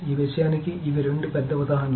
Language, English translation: Telugu, So these are the two big examples of this